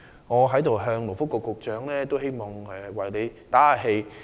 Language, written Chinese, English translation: Cantonese, 我在此為勞工及福利局局長打氣。, Here I wish to tell the Secretary for Labour and Welfare to keep his chin up